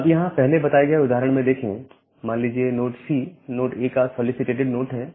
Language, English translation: Hindi, So, here in this preceding example, say node C is the solicited node of node A